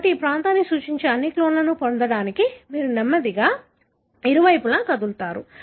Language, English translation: Telugu, So, you slowly move on either side to get all the clones that represent that region